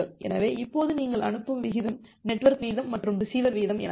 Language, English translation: Tamil, So, your sending rate now is the minimum of something called the network rate and the receiver rate